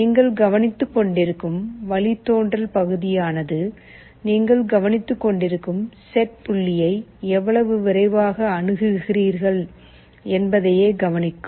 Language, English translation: Tamil, In the derivative part you are also taking care of the fact that how fast you are approaching the set point that also you are taking care of